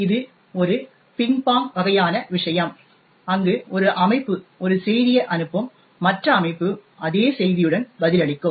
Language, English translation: Tamil, So, this is kind of a ping pong kind of thing, where one system would send a message and the other system would reply with the same message